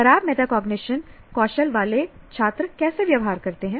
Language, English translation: Hindi, Students with poor metacognition skills, how do they behave